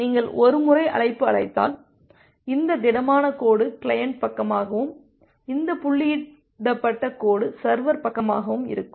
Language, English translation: Tamil, So, once you have connect call, so this solid line is the client side and this dotted line is the server side